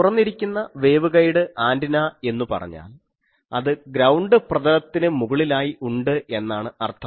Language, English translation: Malayalam, So, the open ended waveguide antenna means I have that on a ground plane so, this is the ground plane